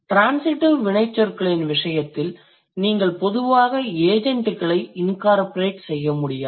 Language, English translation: Tamil, And in case of the transitive verbs, you are, you generally cannot incorporate agents